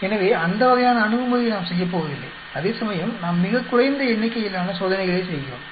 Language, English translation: Tamil, So, that sort of approach we are not going to do whereas we are doing much less number of experiments